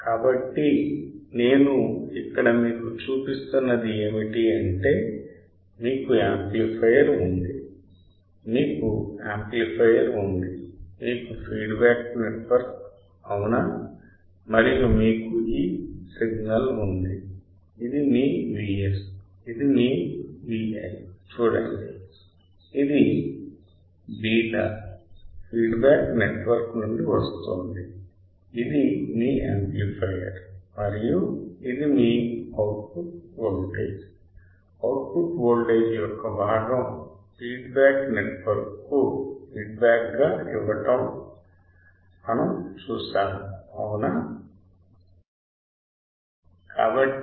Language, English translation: Telugu, So, what I am showing you here is that you have a amplifier you have an amplifier you have a feedback network correct and you have this signal that is your V S this is your V i this is coming from the feedback network beta, this is your amplifier and this is your output voltage; part of the output voltage is feedback to the feedback network we have seen that right we have seen this